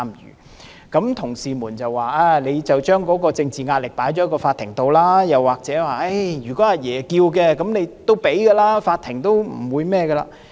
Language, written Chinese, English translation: Cantonese, 於是有同事說，政府將政治壓力轉移給法庭，又或者如果"阿爺"要求，一定會批准，法庭不會拒絕。, Another Member then suggested that the Government has shifted the political pressure onto the courts; or if Grandpa made a request approval would surely be given by the court